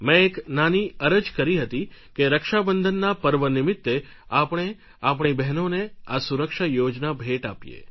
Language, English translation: Gujarati, I had made a humble request that on the occasion of Raksha Bandhan we give our sisters these insurance schemes as a gift